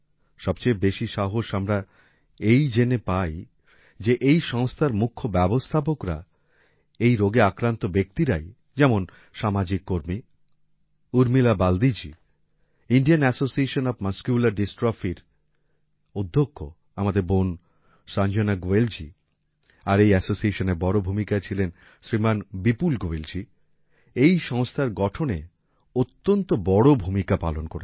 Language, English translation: Bengali, The most encouraging thing is that the management of this organization is mainly done by people suffering from this disease, like social worker, Urmila Baldi ji, President of Indian Association Of Muscular Dystrophy Sister Sanjana Goyal ji, and other members of this association